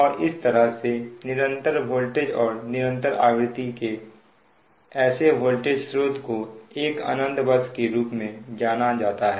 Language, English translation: Hindi, it will remain unchanged and such a such a voltage source of constant voltage and constant frequency is referred to as an infinite bus